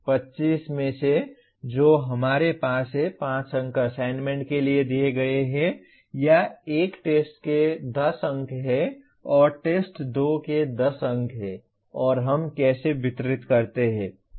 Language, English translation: Hindi, Out of 25 that we have, 5 marks are assigned to or given to assignments and test 1 has 10 marks and test 2 has 10 marks and how are we distributing